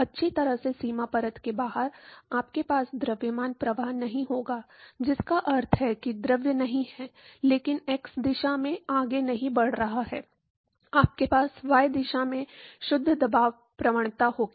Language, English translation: Hindi, Well outside the boundary layer, you will not have mass flux then, which means that the fluid is not, is no more moving in the x direction only, you going to have a net pressure gradients in the y direction